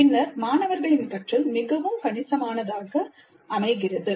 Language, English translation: Tamil, And then the learning of the students seems to be fairly substantial